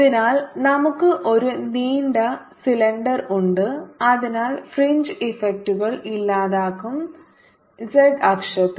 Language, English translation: Malayalam, so we have a long cylinder so that fringe effects are gone, with its axis on the z axis